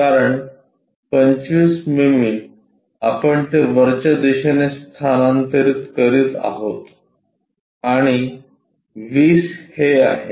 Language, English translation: Marathi, Because 25 mm we are transferring it on the top direction and 20 is this